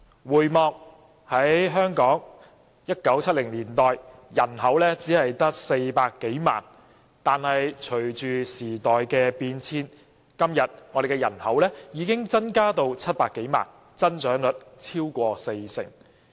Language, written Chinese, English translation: Cantonese, 回望1970年代，當時香港人口只有約400多萬人，但隨着時代變遷，今天我們的人口已經增加至700多萬人，增長率超過四成。, To date it has been imposed for 41 years . Looking back at the 1970s the population of Hong Kong back then was over 4 million people only . But as time changes our population has presently increased to over 7 million people a growth of over 40 %